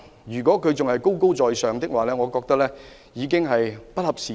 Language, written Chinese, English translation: Cantonese, 如果政府仍採取高高在上的態度，我認為已經不合時宜。, This is inopportune for the Government to stand high above the masses